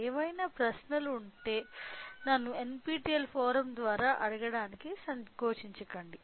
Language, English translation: Telugu, Any questions feel free to ask me in through the NPTEL forum